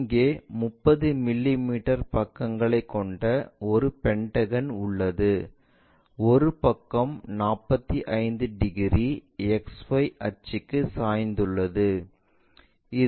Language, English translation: Tamil, Here, there is a regular pentagon of 30 mm sides with one side is 45 degrees inclined to xy axis